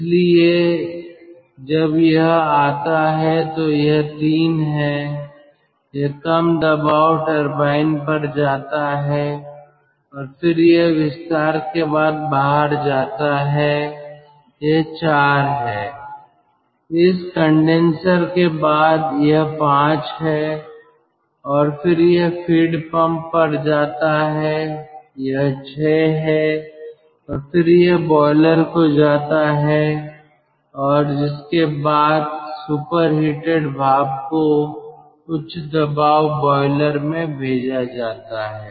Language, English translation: Hindi, so when it comes its condition is three: it goes to the low pressure turbine and then it comes out after expansion, this is four, after this condenser it is five, and then it goes to the feed pump, it is six ah, and then it goes to the boiler again and ah, superheated steam is supplied to the high pressure boiler